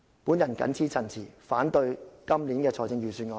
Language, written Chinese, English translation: Cantonese, 我謹此陳辭，反對本年度的預算案。, With these remarks I oppose this years Budget